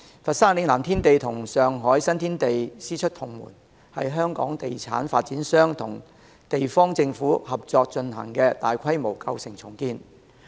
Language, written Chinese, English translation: Cantonese, 佛山嶺南天地與上海新天地師出同門，是香港地產發展商與地方政府合作進行的大規模舊城重建。, Lingnan Tiandi in Foshan is of the same series of development as the Xintiandi in Shanghai . Both are a large - scale old town redevelopment jointly taken forward by a Hong Kong developer and the local governments concerned